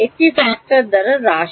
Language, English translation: Bengali, Decreases by a factor of